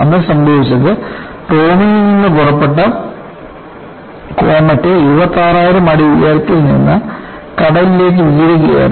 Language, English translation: Malayalam, So, what happened on that day was the Comet departing from Rome plunged into sea from an altitude of 26000 feet